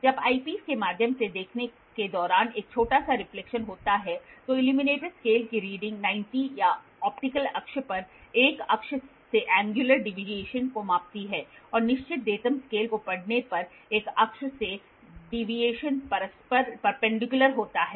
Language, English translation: Hindi, When there is a small reflection while viewing through the eyepiece the reading of the illuminated scale measures angular deviation from 1 axis at 90 or to the optical axis and reading the fixed datum scale the deviation from an axis mutually is perpendicular to this